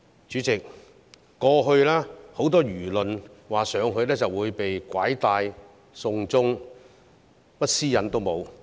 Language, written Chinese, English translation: Cantonese, 主席，過去很多輿論說去內地就會被拐帶、被"送中"，甚麼私隱也沒有。, President in the past many people said that if anyone went to the Mainland he would be abducted or taken to China and stripped of privacy